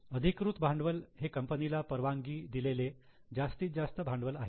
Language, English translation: Marathi, Authorized capital is the maximum capital which companies permitted to raise